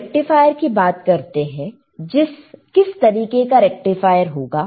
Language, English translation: Hindi, So, when I say rectifier, we are using rectifier what kind of rectifier what kind rectifier